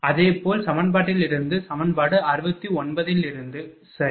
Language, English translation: Tamil, Similarly, from equation your this from equation 69, right